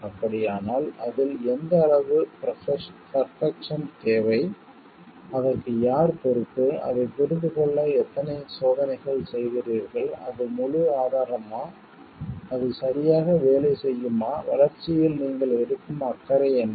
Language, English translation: Tamil, So, what is the degree of perfection required in it, who is responsible for it, how many checks do you do to understand it is like full proof it will be working correct, what is the degree of care that you take in developing it